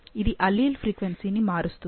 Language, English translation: Telugu, That will change the frequency of the alleles